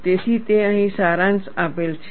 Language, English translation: Gujarati, So, that is what is summarized here